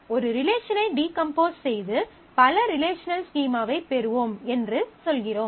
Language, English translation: Tamil, So, we are saying that we will decompose, get into a number of relational schema